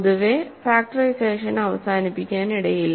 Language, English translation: Malayalam, In general, factorization may not terminate